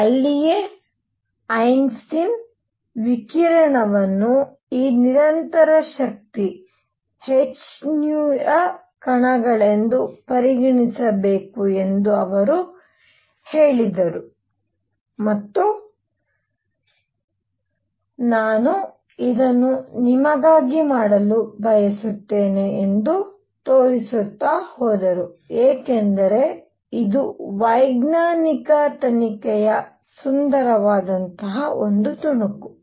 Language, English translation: Kannada, And that is where Einstein came in and he said may be radiation should also be treated as this continuous containing particles of energy h nu and he went on to show this I want to do it for you, because this is a beautiful piece of scientific investigation